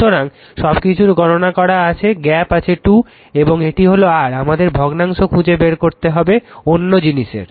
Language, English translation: Bengali, So, everything is computed gap is 2 right and this is your; what you call we are what we call we have to find out fraction other thing